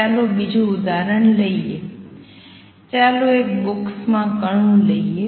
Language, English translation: Gujarati, Let us take another example let us take particle in a box